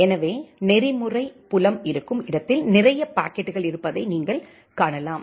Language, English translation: Tamil, So, you can see there are lots of packets where the protocol field